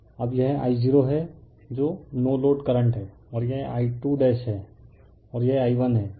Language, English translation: Hindi, Now, this is my I 0 that your no load current and this is my I 2 dash and this is your I 1, right